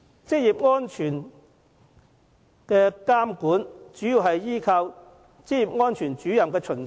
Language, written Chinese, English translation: Cantonese, 職業安全的監管主要依賴職業安全主任的巡查。, The oversight of occupational safety relies mainly on inspections made by Occupational Safety Officers